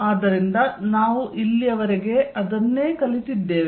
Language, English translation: Kannada, So, this is what we learnt so far